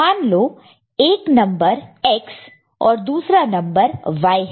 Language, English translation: Hindi, Say, one number is X another number is Y